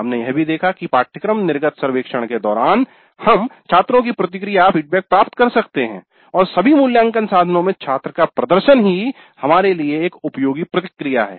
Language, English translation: Hindi, We also saw that during the course exit survey we can get student feedback and student performance in all assessment instruments itself constitutes useful feedback for us